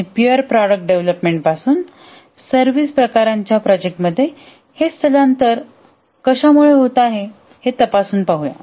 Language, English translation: Marathi, And let us investigate that what is causing this migration from pure product development to services type of projects